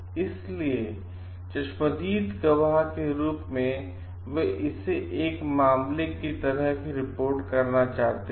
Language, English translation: Hindi, So, in eye witness they are to report the matter as it is